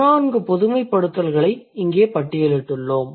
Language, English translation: Tamil, So, there are 14 generalizations which have been listed here